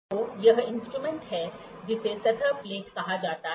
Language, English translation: Hindi, So, this is an instrument which is called surface plate